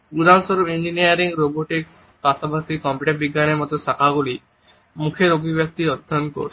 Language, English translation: Bengali, For example, disciplines like engineering, robotics, as well as computer science are studying facial expressions